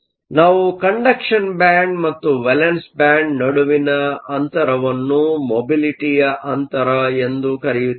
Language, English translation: Kannada, So, we call the distance between the conduction band and the valence band as a mobility gap